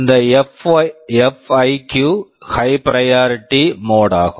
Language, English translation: Tamil, This FIQ is the high priority mode